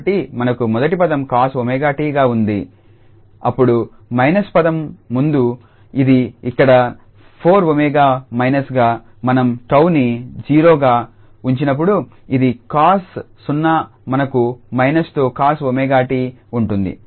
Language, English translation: Telugu, So, we have the first term cos omega t then the minus term so front this is sitting here 4 omega minus, when we put tau 0 this is cos 0 we have cos omega t with minus